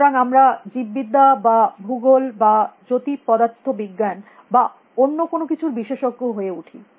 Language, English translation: Bengali, So, we become a specialist in biology or geography or aestrophysics or anything